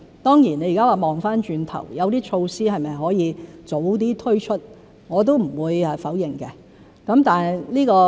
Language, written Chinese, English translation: Cantonese, 當然，現在回看，有些措施是否可以早點推出，我也不會否認。, Of course in retrospect I would not deny that some measures could be introduced earlier